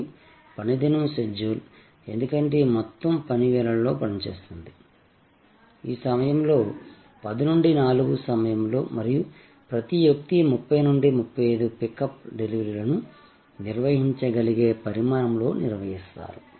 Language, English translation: Telugu, And the workday schedule, because this whole thing operates during the working hours, during this time of saying 10 to 4 and each person handles 30 to 35 pickups deliveries quite a manageable size